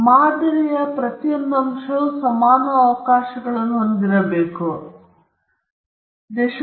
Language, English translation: Kannada, Each element in the sample should have equal chances of being